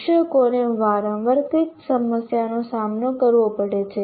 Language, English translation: Gujarati, And what are these problems teachers face frequently